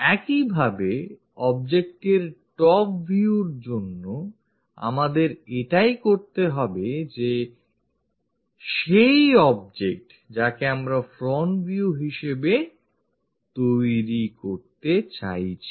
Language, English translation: Bengali, Similarly, for top view object, what we have to do is this is the object what we are trying to say and what we want to make is this one front view